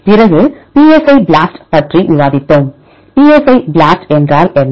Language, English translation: Tamil, Then we discussed about psi BLAST, what is psi BLAST